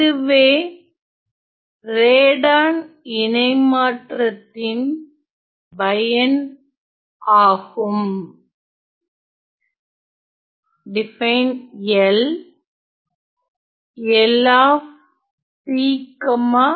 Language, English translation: Tamil, So, in that case my Radon transform